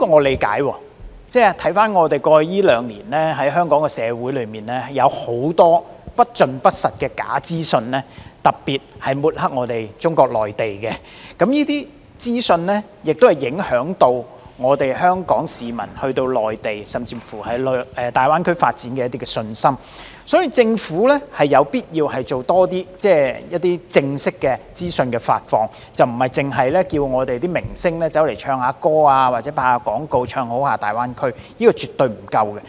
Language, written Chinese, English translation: Cantonese, 回看過去兩年，香港社會有很多不盡不實和特別旨在抹黑中國內地的假資訊，這些資訊會影響香港市民前往內地或大灣區發展的信心，所以政府有必要多做正式的資訊發放，而不應只請明星唱歌或拍攝廣告"唱好"大灣區，這是絕對不夠的。, Looking back at the last couple of years we can see that Hong Kong was filled with false information which was not only inaccurate but was also meant to discredit the Mainland China . Given that such information has affected the confidence of Hong Kong people in developing their career in the Mainland or GBA it is necessary for the Government to disseminate more information through formal channels . Merely inviting stars to sing the praises of GBA in songs and advertisements is far from enough